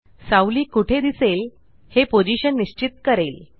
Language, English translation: Marathi, Position defines where the shadow will appear